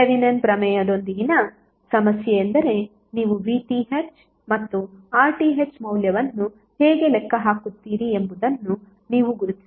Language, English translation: Kannada, So the problem with the Thevenin’s theorem is that you have to identify the ways how you will calculate the value of VTh and RTh